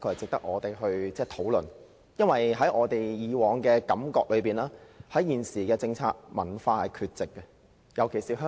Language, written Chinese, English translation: Cantonese, 這個議題的確值得我們討論，因為我們以往的觀感是，文化在現行政策下是缺席的，尤其是在香港。, This subject is worth our discussion because our long - standing impression is that culture is absent in the policy especially in Hong Kong